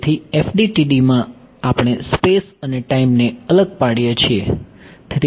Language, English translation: Gujarati, So, in FDTD we are discretizing space and time right